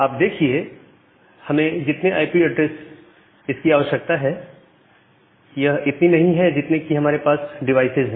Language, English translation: Hindi, So, if you think about a number of IP addresses that we actually require is again not equal to the number of devices that we have